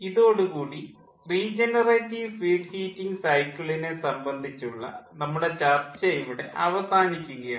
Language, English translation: Malayalam, with this we come to an end of our discussion regarding the regarding the ah regenerative feed heating cycle